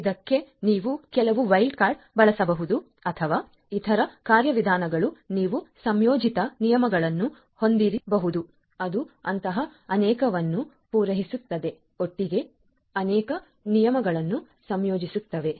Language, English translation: Kannada, So, you can using some wild card or other mechanisms you can have combined rules which will cater to multiple such rules together which will combine multiple rules together